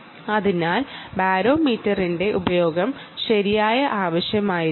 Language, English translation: Malayalam, so use of barometer maybe required, right